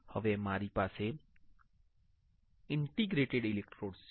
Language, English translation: Gujarati, Now, I have interdigitated electrodes